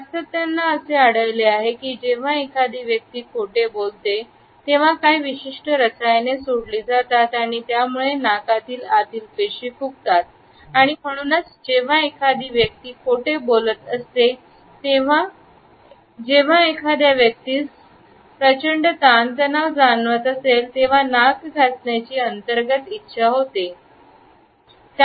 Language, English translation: Marathi, Scientists have found out that when a person lies, certain chemicals are released and they cause the tissues inside the nose to swell and therefore, when a person is lying or when a person is feeling tremendous stress, there is an inner urge to rub the nose